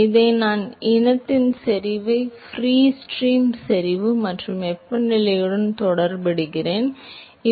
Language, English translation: Tamil, So, similarly I could scale CAstar the concentration of this species with the free stream concentration and the temperature with the corresponding free stream fluid temperature